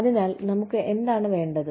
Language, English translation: Malayalam, So, what do we need